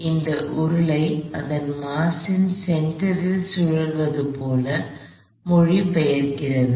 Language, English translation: Tamil, So, this cylinder is translating as well as rotating about its center of mass